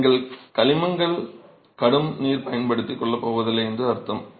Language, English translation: Tamil, I mean, you are not going to be using water with heavy in minerals